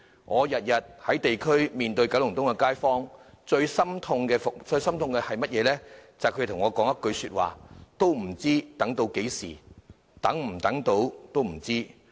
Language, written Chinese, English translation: Cantonese, 我每天在地區面對九龍東的街坊，感到最心痛的，便是聽到他們的一句話："不知要等到何時，也不知能否等得到"。, When I meet with residents in Kowloon East every day in the district it is most heartrending to hear them say that Just dont know how long we have to wait and whether or not I can wait that long